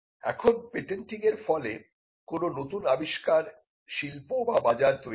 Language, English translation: Bengali, Now, whether patenting results in a new invention industry or a market